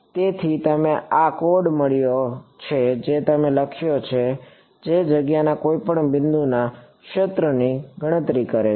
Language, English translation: Gujarati, So, you have got this code you have written which calculates the field at any point in space